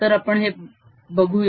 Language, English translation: Marathi, so let us have a look at that